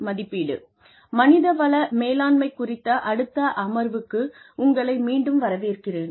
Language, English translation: Tamil, Welcome back, to the next session on, Human Resources Management